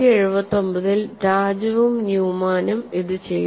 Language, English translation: Malayalam, And this was done by Raju and Newman in 1979